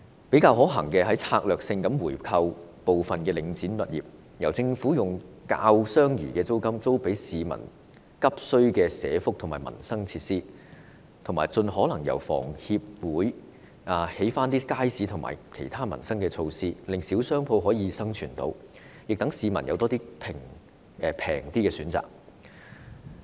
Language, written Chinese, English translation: Cantonese, 比較可行的方法是策略性地回購部分領展物業，由政府以較相宜的租金租給市民急需的社福民生設施，以及盡可能由房委會興建街市和其他民生設施，令小商戶能夠生存，亦讓市民有較相宜的選擇。, A more viable option is to strategically buy back some properties of Link REIT . Then the Government can rent them out for provision of social welfare and livelihood facilities urgently needed by the public at lower rents and where possible markets and other livelihood facilities should be developed by HA to ensure commercial viability for small shop operators and provide less expensive choices for the people